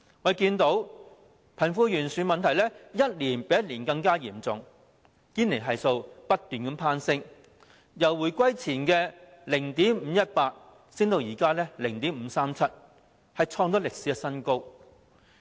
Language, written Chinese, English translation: Cantonese, 我們看到貧富懸殊的問題一年較一年嚴重，堅尼系數不斷攀升，由回歸前的 0.518 上升至現時的 0.537， 創歷史新高。, We have seen the wealth gap become more and more serious year after year . The Gini coefficient keeps surging . It has risen from 0.518 before the reunification to 0.537 now hitting a new record high